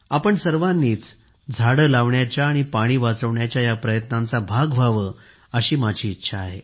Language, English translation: Marathi, I would like all of us to be a part of these efforts to plant trees and save water